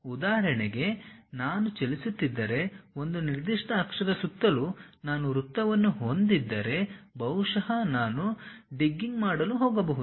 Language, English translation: Kannada, For example, if I am having a circle around certain axis if I am moving maybe I might be going to get a chew